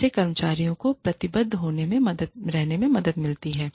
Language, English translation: Hindi, This helps the employees, remain committed